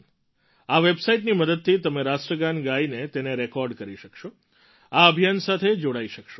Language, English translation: Gujarati, With the help of this website, you can render the National Anthem and record it, thereby getting connected with the campaign